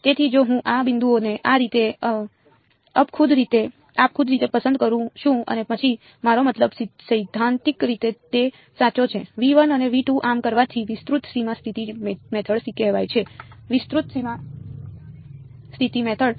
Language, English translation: Gujarati, So, if I pick these points like this arbitrarily in V 1 and V 2 then I mean theoretically it is correct and doing so is called the extended boundary condition method; extended boundary condition method